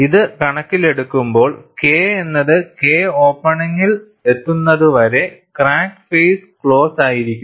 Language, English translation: Malayalam, In view of this, the crack faces do not open, until K reaches K opening